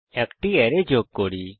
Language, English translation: Bengali, Now let us add an array